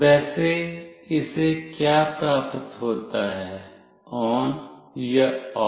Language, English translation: Hindi, Accordingly, what it receives either ON or OFF